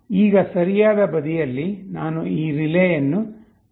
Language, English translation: Kannada, On the right side I will simply plug in this relay